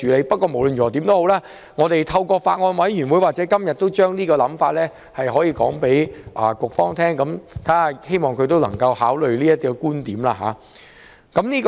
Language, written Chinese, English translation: Cantonese, 不論如何，我們透過法案委員會或今天的會議向局方提出想法，希望局方可以考慮這個觀點。, Anyway we have put forward the proposal in the Bills Committee and at todays meeting hoping that the Government will consider it in due course